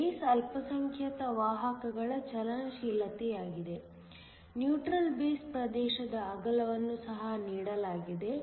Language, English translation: Kannada, So, this is the mobility of the minority carriers in the base; the width of the neutral base region is also given